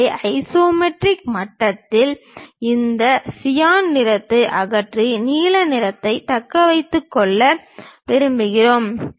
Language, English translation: Tamil, So, at isometric level we want to remove this cyan color and retain the blue color